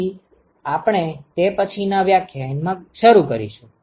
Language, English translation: Gujarati, So, we are going to start with that in the next lecture